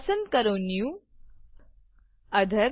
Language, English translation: Gujarati, Choose New Other.